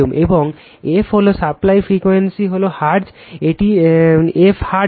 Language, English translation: Bengali, And f is equal to supply frequency is hertz, this f in hertz right